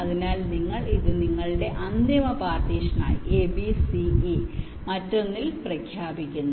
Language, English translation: Malayalam, so you declare this as your final partition: a, b, c, e in one, the rest in the other